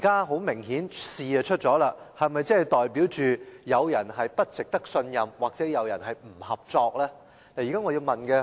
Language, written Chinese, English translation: Cantonese, 很明顯，今次事件已經發生，這是否代表有人不值得信任，或有人不合作呢？, Evidently given the occurrence of this incident does this mean that someone is untrustworthy or uncooperative?